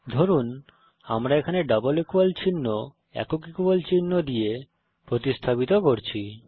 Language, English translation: Bengali, Come back to the program Suppose here we replace the double equal to sign with the single equal to